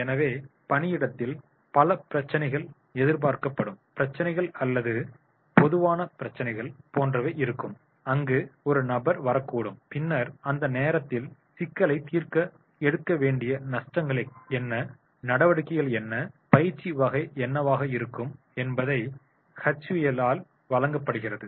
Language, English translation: Tamil, So at the workplace there will be like many problems or expected problems are the common problems which a person may come across and then at that time what will be the steps which are to be taken to solve the problem and that type of training will be provided by the H U